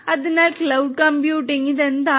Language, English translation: Malayalam, So, cloud computing; cloud computing what is it